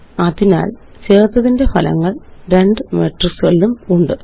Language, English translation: Malayalam, So there is the result of the addition of two matrices